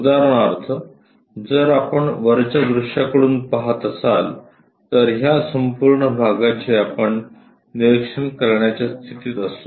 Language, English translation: Marathi, For example, if we are looking from top view, this entire part we will be in a position to observe